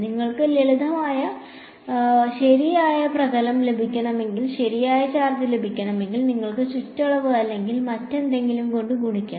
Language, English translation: Malayalam, If you want to get the correct surface get the correct charge you have to multiply by the circumference or whatever